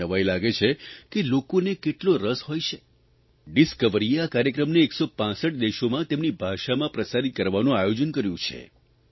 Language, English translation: Gujarati, The Discovery Channel plans to broadcast this programme in 165 countries in their respective languages